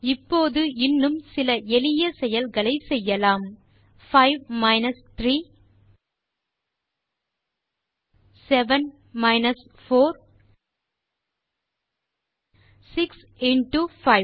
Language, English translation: Tamil, Now, Let us now try few more operations such as, 5 minus 3, 7 minus 4, 6 into 5